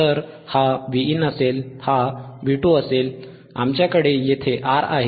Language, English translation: Marathi, So, this will be Vin, this will be V 2 right